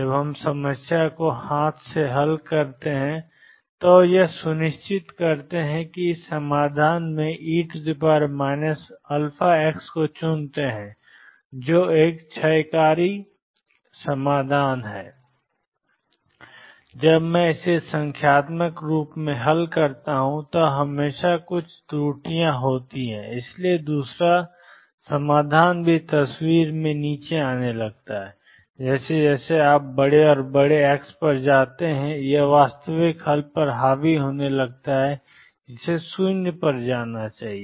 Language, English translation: Hindi, When we solve the problem by hand then we make sure that we pick this solution E raise to minus alpha x which is a decaying solution, when I solve it numerically there are always some errors peeping in and therefore, the second solution also it starts coming into the picture and as you go to larger and larger x it starts dominating the true solution which should go to 0